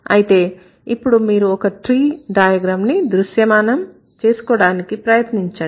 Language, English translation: Telugu, So, now try to visualize a tree diagram or try to visualize a tree